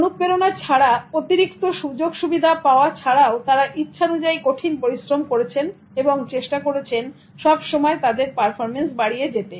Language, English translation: Bengali, Despite incentives, despite any extra benefits, they were willing to work so hard and then try to always increase the level of their performance